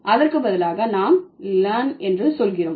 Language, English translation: Tamil, So, let's let me give you an example like LAN